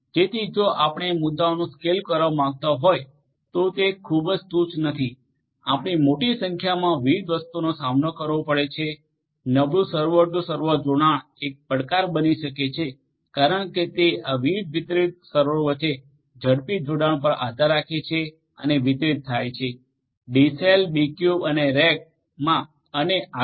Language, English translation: Gujarati, So, if you want to scale up the you know the issues are not very trivial you have to deal with large number of different things and poor server to server connectivity can be a challenge because it heavily bases on fast connectivity between these different distributed servers and distributed D cells cubes and racks and so on um